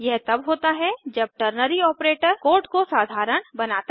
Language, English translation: Hindi, This is when ternary operator makes code simpler